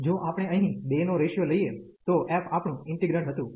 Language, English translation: Gujarati, If we take the ratio of the 2 here, so f was our integrand